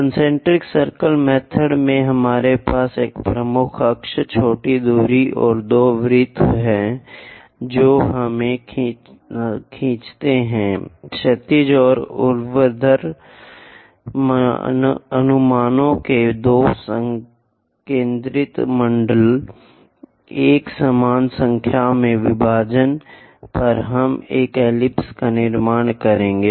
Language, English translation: Hindi, In concentric circle method, we have major axis, minor axis and two circles we draw, two concentric circles by horizontal and vertical projections on equal number of divisions we will construct these ellipse